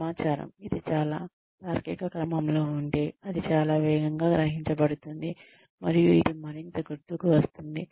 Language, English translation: Telugu, The information, if it is in a logical order, it will be absorbed much faster, and it will be remembered more